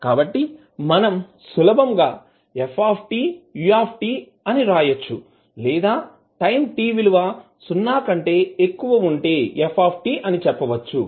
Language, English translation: Telugu, So you can simply write ft ut or you can say ft for time t greater than equal to 0